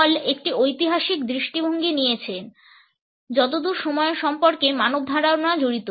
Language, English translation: Bengali, Hall has taken a historical perspective as far as the human concept of time is concerned